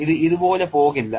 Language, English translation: Malayalam, It will not go like this